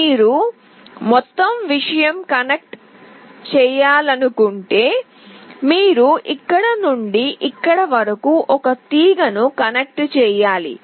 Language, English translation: Telugu, If you want to connect the whole thing you have to connect a wire from here till here